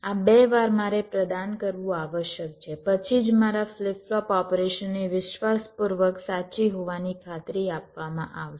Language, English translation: Gujarati, these two times i must provide, then only my flip flop operation will be guaranteed to be faithfully correct, right